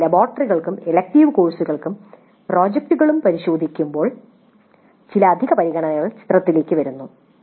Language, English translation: Malayalam, But when we look at laboratories and elective courses and project, certain additional considerations do come into picture